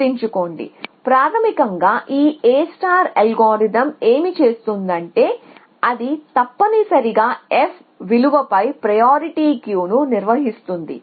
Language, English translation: Telugu, So, remember that we said that basically what this algorithm A star does is it maintains a priority queue of on f value essentially